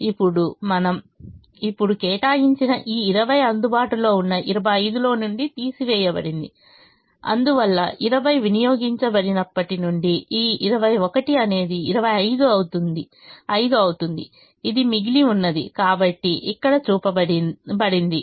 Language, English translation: Telugu, now this twenty, which we have now allocated, has been taken out of the twenty five that is available and therefore, since twenty has been consumed, this twenty one become twenty, five becomes five, which is what is remaining